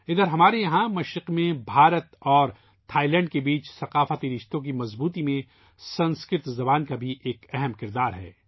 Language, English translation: Urdu, Sanskrit language also plays an important role in the strengthening of cultural relations between India and Ireland and between India and Thailand here in the east